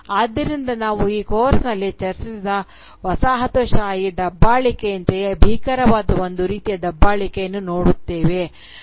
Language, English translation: Kannada, Thus, here we are confronted with a form of oppression that is as gruesome as the colonial oppression that we have discussed in this course